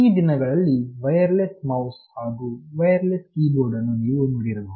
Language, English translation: Kannada, These days you must have seen that you have wireless mouse and wireless keyboard